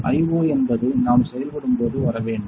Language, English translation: Tamil, So, this IO is when we are operating need come